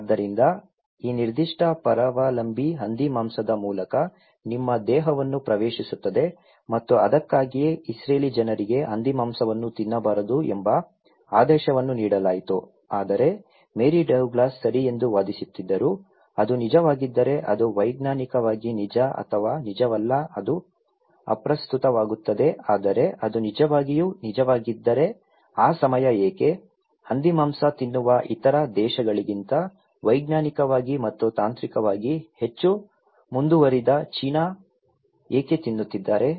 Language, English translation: Kannada, So, this particular parasite that enter into your body through pork and thatís why the Israeli people were given the mandate that you should not eat the pork but Mary Douglas was arguing okay, if it is really that so it could be scientifically true or not true that does not matter but if it is really true that why that time, the China which was scientifically and technologically much advanced than many other countries who are eating pork